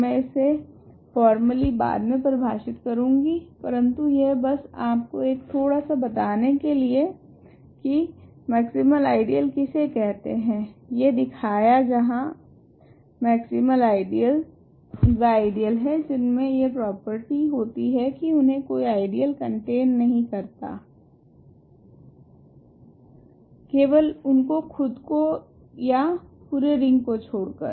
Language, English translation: Hindi, So, I will define this formally later, but this is just to give you a preview of this is called a maximal ideal where maximal ideals are ideas which have these this property that there are no ideals that contain that ideal other than that ideal that ideal itself and the full ring ok